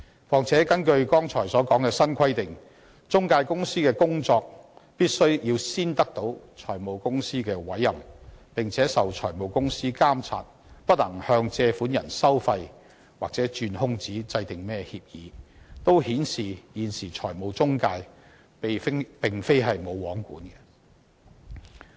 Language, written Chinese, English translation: Cantonese, 況且，根據剛才提到的新規定，中介公司必須先得到財務公司的委任，並且受財務公司監察，不能向借款人收費或鑽空子制訂協議等，也顯示出現時的財務中介並非"無皇管"。, Furthermore according to the new requirements mentioned just now intermediaries must be appointed and regulated by finance companies and they are disallowed from levying charges on borrowers or exploiting loopholes by making agreements and so on . All this illustrates that intermediaries are currently not in no mans land